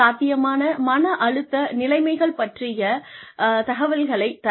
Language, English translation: Tamil, Provide heads up information regarding potential, stressful conditions